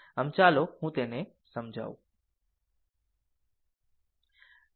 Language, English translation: Gujarati, So, let me clear it , right